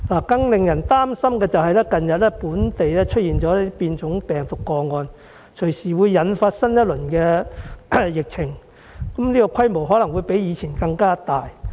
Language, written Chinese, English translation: Cantonese, 更令人擔心的是，本地近日出現變種病毒個案，隨時引發新一輪疫情，規模可能比以前更大。, What is even more worrying is that the recent emergence of local cases of virus variants might trigger a new outbreak anytime possibly on a larger scale than before